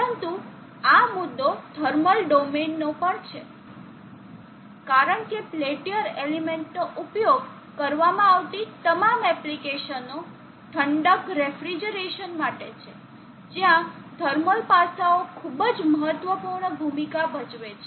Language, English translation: Gujarati, But there is also this topic of tamil domain, because all the applications where the peltier element is used is for cooling, refrigeration where thermal aspects play a very, very important role